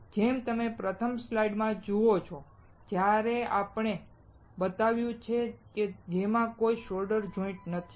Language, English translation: Gujarati, As you see in the first slide; what we have shown there have no solder joints